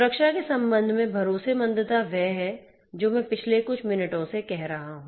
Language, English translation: Hindi, Trustworthiness with respect to security is what I have been talking about in the last few minutes